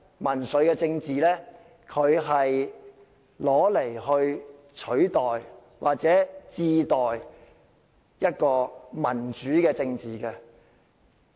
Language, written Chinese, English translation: Cantonese, 民粹政治往後是用來取代或民主政治。, In politics populism is always a substitute for democracy